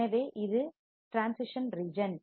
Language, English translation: Tamil, So, it is a transition region